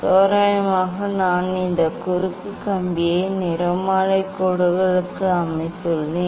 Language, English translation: Tamil, approximately I have set this cross wire to the spectral lines